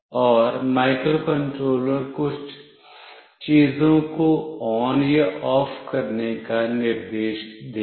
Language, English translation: Hindi, And the microcontroller will instruct to do certain things, either ON or OFF